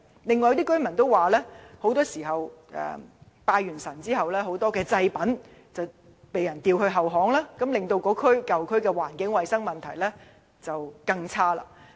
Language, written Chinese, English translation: Cantonese, 此外，有居民投訴，在進行拜祭後，很多祭品往往被丟在後巷，令該舊區的衞生環境變得更差。, Some residents also complain about people leaving behind many offerings in the back alleys after the worship thus further aggravating the environment of the old district